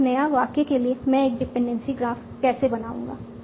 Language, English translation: Hindi, So that given any new sentence I can actually find out its dependency graph